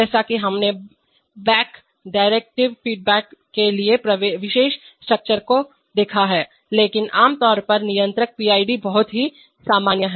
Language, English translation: Hindi, As we have seen for special structure for feeding back derivatives but generally the controllers are PID they are very extremely common